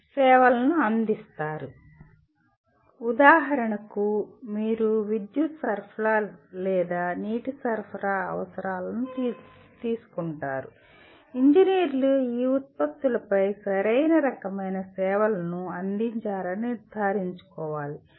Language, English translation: Telugu, They provide services on for example you take a electric supply or water supply, the engineers will have to make sure right kind of services are provided on these products